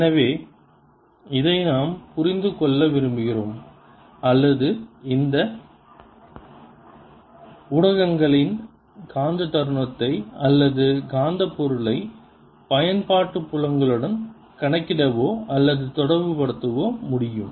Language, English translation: Tamil, so we want to understand this or be able to calculate or relate the magnetic moment of these media right magnetic material to apply it, fields and so on